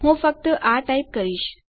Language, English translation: Gujarati, So Ill just type this